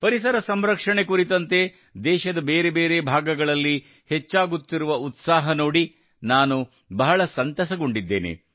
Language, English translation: Kannada, I am very happy to see the increasing enthusiasm for environmental protection in different parts of the country